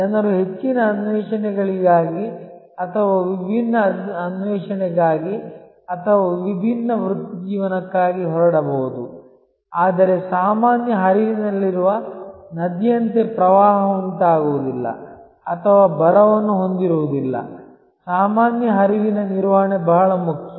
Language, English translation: Kannada, People may leave for higher pursuits or different pursuit or different careers, but just like a river in a normal flow will neither have flood nor will have drought, that normal flow maintenance is very important